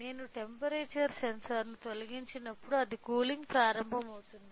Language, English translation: Telugu, When I remove the temperature sensor so, it is starts cooling